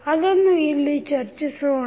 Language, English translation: Kannada, So, we will discuss